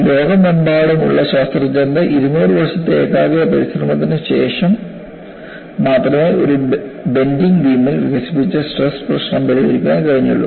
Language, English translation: Malayalam, Only, after 200 years of concentrated effort by scientists across the world, could solve the problem of stresses developed in a beam under bending